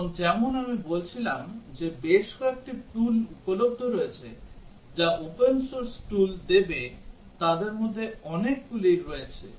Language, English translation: Bengali, And as I was saying that there are several tools that are available which will give open source tools are also there many of them